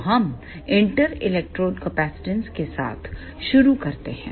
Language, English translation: Hindi, So, let us start with inter electrode capacitance